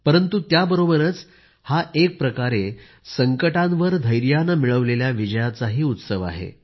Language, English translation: Marathi, But, simultaneously, it is also the festival of victory of patience over crises